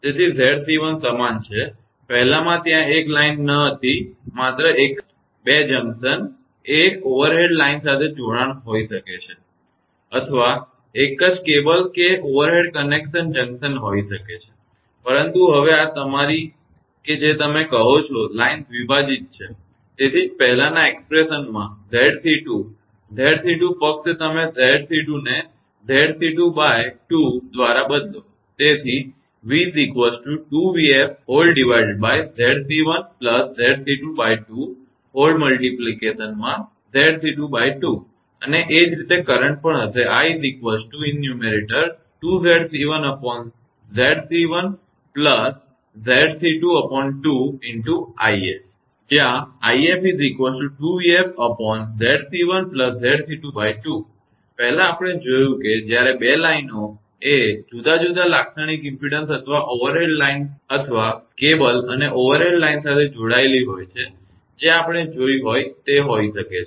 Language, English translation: Gujarati, So, Z c 1 is remain same Z c earlier one, one thing was not there only one 2 junction right to overhead line may be connection or one cable one overhead connection right the junction, but now this your what you call that line is bifurcated this is that is why Z c 2, Z c 2 in the previous expression just you replace Z instead of Z c 2 you right Z c 2 by 2 therefore, v is equal to 2 v f the Z c 1 plus Z c 2 by 2 into instead of Z c 2 it will be Z c 2 by 2, right